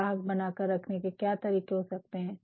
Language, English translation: Hindi, What can be other ways to retain the customers and all